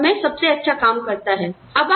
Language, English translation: Hindi, It works best at that time